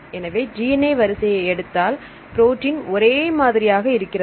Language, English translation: Tamil, So, take the DNA sequence because protein is same